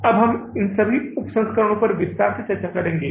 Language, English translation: Hindi, We have discussed those variances in detail